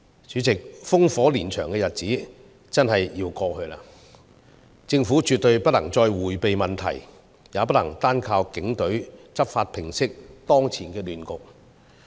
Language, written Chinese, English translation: Cantonese, 主席，烽火連場的日子真的要過去，政府絕對不能再迴避問題，也不能單靠警隊執法平息當前的亂局。, President we must put an end to the violent and chaotic days . The Government should not dodge the problem any further nor should it rely on the Police Force alone to end the present chaos